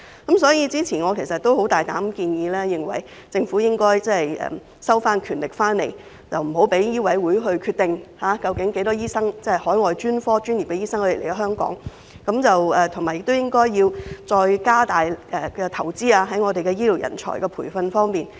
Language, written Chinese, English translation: Cantonese, 因此，早前我大膽建議政府收回權力，不再讓香港醫務委員會決定來港執業的海外專科醫生人數，並建議政府進一步加大投資於醫療人才培訓。, That is why I have boldly advised the Government to take back the power from the Medical Council of Hong Kong so that it will no longer decide on the number of overseas - trained specialists practising in Hong Kong . Besides I have also suggested the Government to invest more on the training of healthcare professionals